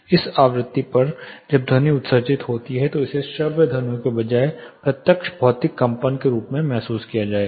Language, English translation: Hindi, At this frequency when sound is emitted this will be felt as direct physical vibrations rather than audible sounds